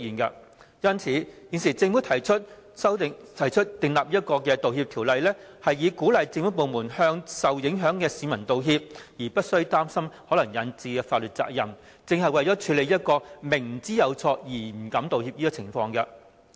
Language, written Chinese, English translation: Cantonese, 因此，政府提出《道歉條例草案》，以鼓勵政府部門向受影響市民道歉，而無須擔心可能引致的法律責任，正是為了處理這種明知有錯而不敢道歉的情況。, To tackle such reluctance to apologize for clear mistakes the Government now introduces the Bill to rid government departments of their worry about any ensuing liability in the future and thus encourage them to apologize to the affected people